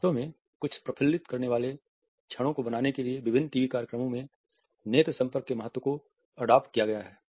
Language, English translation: Hindi, In fact, the significance of eye contact has been adapted in various TV shows to create certain hilarious moments